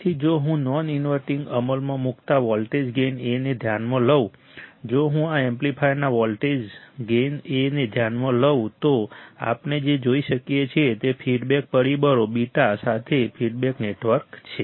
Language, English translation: Gujarati, So, if I consider a non inverting implemented voltage gain A, if I consider this amplifier volt voltage gain A, what we can see there is a feedback network with feedback factor beta right